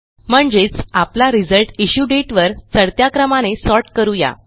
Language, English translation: Marathi, Meaning we will sort the result set by the Issue Date in ascending order